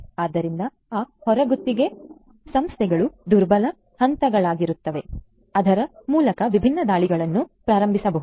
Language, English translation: Kannada, So, those out sourced firms will be vulnerable points through which different attacks might be launched